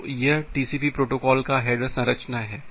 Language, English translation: Hindi, So, this is the header structure of the TCP protocol